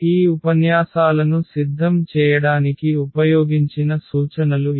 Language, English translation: Telugu, And, these are the references used for this for preparing these lectures